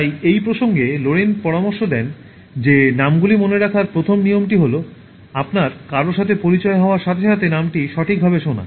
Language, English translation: Bengali, So, in this context, Lorayne suggests that the first rule for remembering names is that you should hear the name properly the moment you are introduced to someone